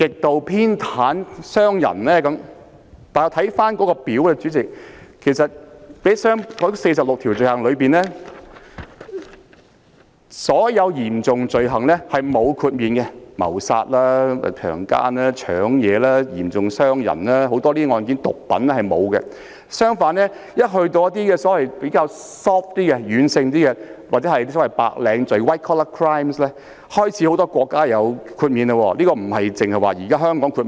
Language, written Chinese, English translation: Cantonese, 《逃犯條例》附表1載列的46項罪行類別當中，所有嚴重罪行，包括謀殺、強姦、搶劫、嚴重傷人和毒品等案件也沒有獲得豁免；相反，對於一些比較軟性或所謂的白領罪行，很多國家也開始作出豁免。, Cases involving the 46 items of offences described in Schedule 1 to the Fugitive Offenders Ordinance including murder rape robbery serious assault and drug - related offences will not be exempted . In contrast a number of countries have started to exempt some relatively soft or so - called white - collar crimes